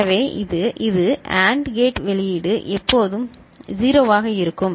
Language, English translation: Tamil, So, this is this AND gate output is always 0